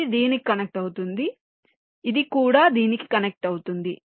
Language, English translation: Telugu, this will also be connected to this